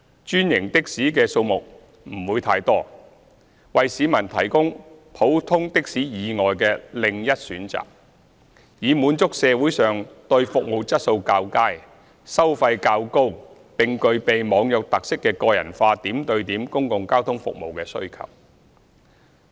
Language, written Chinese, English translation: Cantonese, 專營的士的數目不會太多，為市民提供普通的士以外的另一選擇，以滿足社會上對服務質素較佳、收費較高並具備"網約"特色的個人化點對點公共交通服務的需求。, Franchised taxis limited in number will provide members of the public with an additional choice other than ordinary taxis so as to meet the demand in society for personalized and point - to - point public transport services of higher quality charging higher fares and having online hailing features